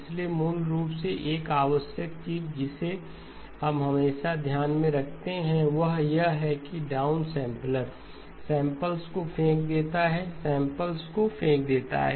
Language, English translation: Hindi, So basically one of the essential things that we keep in mind always is that the down sampler throws away samples, throws away samples